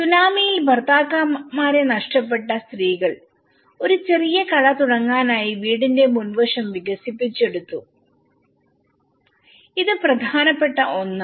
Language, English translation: Malayalam, Woman, who lost their husbands in the tsunami, they started expanding as a shop having a small shop in front of the house, this is one of the important thing